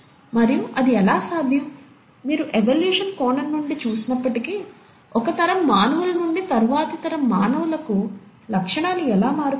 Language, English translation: Telugu, And how is it, even if you look at from the evolution perspective, how is it from one generation of humans, to the next generation of humans, the features are changing